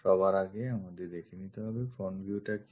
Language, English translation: Bengali, First of all we have to visualize what is front view